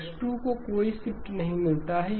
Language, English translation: Hindi, X2 does not get any shift